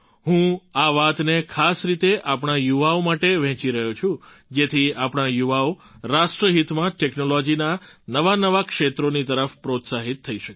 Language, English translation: Gujarati, I am sharing these things especially with our youth so that in the interest of the nation they are encouraged towards technology in newer fields